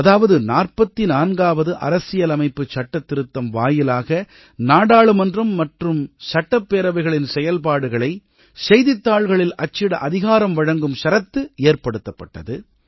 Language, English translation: Tamil, The 44th amendment, made it mandatory that the proceedings of Parliament and Legislative Assemblies were made public through the newspapers